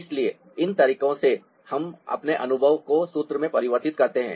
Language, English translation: Hindi, so these are the way we convert our experience into formula